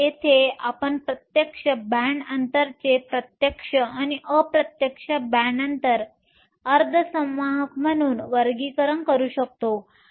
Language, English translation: Marathi, So, here we can classify semiconductor as direct and indirect band gap semiconductors